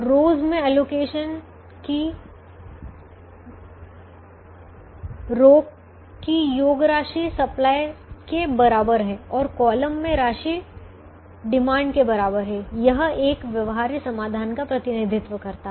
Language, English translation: Hindi, the row sum sum of the allocations in the row is equal to the supply and sum in the column is equal to the demand represents a feasible solution